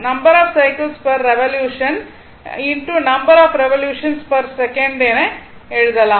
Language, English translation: Tamil, So, you can write number of cycles per revolution into number of revolution per second